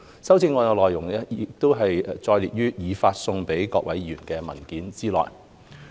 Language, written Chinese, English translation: Cantonese, 修正案的內容載列於已發送給各位議員的文件內。, These amendments have been set out in a paper circularized to Members